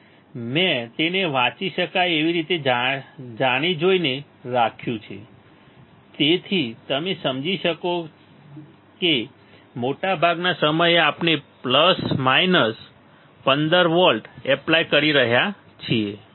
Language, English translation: Gujarati, And I have kept it read deliberately, so that you can understand that most of the time the most of the time you will see that we are applying plus minus 15 volts, we are applying plus minus 15 volts ok